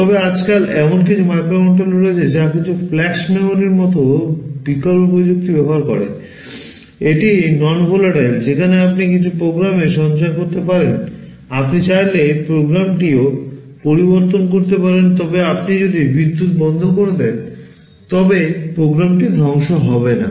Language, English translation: Bengali, But nowadays there are microcontrollers which use some alternate technologies like flash memory, which is also non volatile where you can store some program, you could also change the program if you want, but if you switch off the power the program does not get destroyed